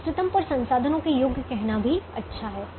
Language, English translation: Hindi, it's also good to say worth of the resources at the optimum